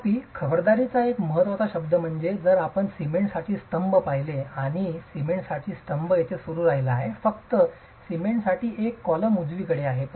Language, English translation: Marathi, However, an important word of caution is if you look at the column for cement and the column for cement continues here, you just have one single column for cement, right